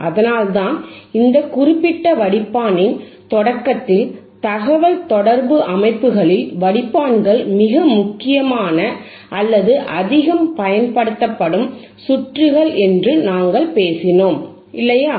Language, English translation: Tamil, That is why, at the starting of this particular filter session, we talked that filters are the most important or highly used circuits in the communication systems, right